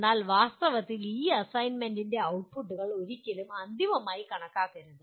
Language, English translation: Malayalam, But in actuality, these outputs of these assignment should never be considered as final